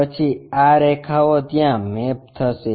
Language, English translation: Gujarati, Then these lines maps there